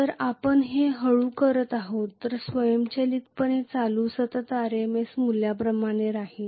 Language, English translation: Marathi, So yeah,ha ,if we are doing it slowly automatically the current will remain as a constant RMS value